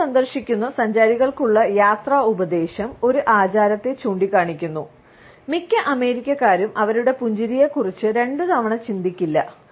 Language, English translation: Malayalam, Traveler advice to tourists visiting in the US, points out one custom most Americans would not think twice about, their smile